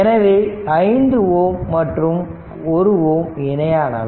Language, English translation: Tamil, So, 6 ohm and 3 ohm are in parallel right